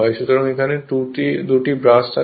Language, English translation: Bengali, So, 2 brushes will be there